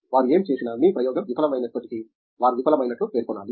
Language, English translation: Telugu, Whatever they do, even if your experiment is fail that, they should mention as fail